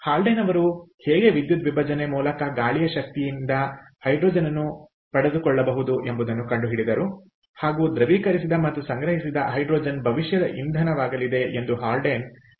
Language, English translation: Kannada, the haldane predicted that hydrogen derived from wind power via electrolysis, liquefied and stored, will be the fuel of the future